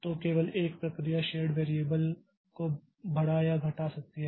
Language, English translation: Hindi, So, only one process can increment or decrement the shared variable